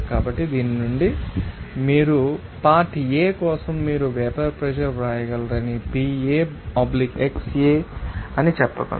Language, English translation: Telugu, So, from this we can say that for component A that you can write that you know vapor pressure of component will be PA/xA